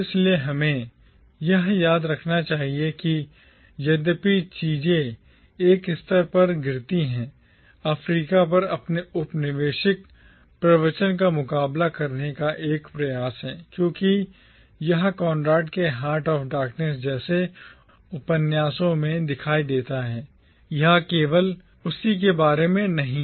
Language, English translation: Hindi, So we should remember that, though Things Fall Apart at one level is an attempt to counter the colonial discourse on Africa as it appears in novels like Conrad’s Heart of Darkness, it is not solely about that